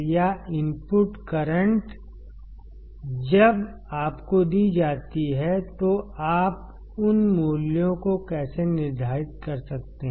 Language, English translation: Hindi, Or input currents when you are given then how can you determine those values